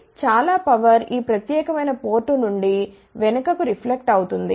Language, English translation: Telugu, So, lot of power will get reflected back form this particular port here